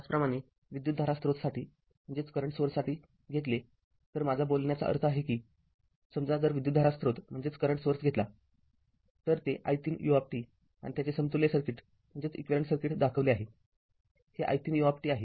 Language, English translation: Marathi, Similarly, for the current source if you take; I mean suppose if you take a current source that i 0 u t and its equivalent circuit is shown; this is i 0 into u t